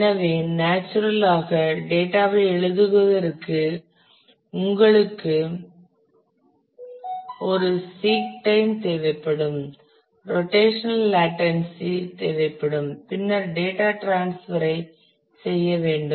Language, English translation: Tamil, So, naturally for writing the data also you will need a seek time you will need the rotational latency then we will have to data do the data transfer